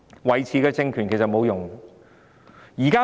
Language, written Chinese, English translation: Cantonese, 維持政權沒有用。, It is no use to maintain this regime